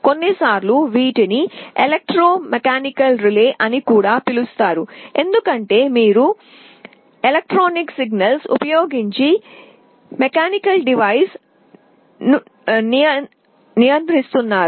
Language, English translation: Telugu, Sometimes these are also called electromechanical relays, because you are controlling a mechanical device, using electrical signals